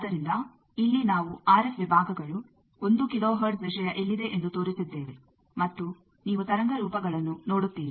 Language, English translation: Kannada, So, here we have shown which is the RF sections, where is the 1 kilo hertz thing, and you see the wave forms